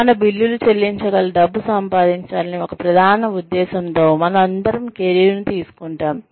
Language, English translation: Telugu, We all take up careers, with of course, one main intention of earning money, that can pay our bills